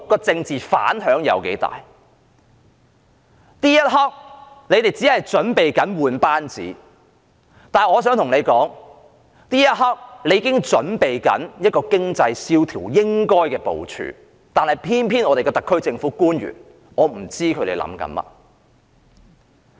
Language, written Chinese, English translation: Cantonese, 政府這一刻專注更換班子，但我想告訴政府，這一刻應該準備經濟蕭條下應有的部署，然而我不知道特區政府的官員在想甚麼。, The Government is now focusing on its reshuffle but I want to point out that it should actually plan for the forthcoming economic depression now . I do not know what the public officers of the SAR Government are thinking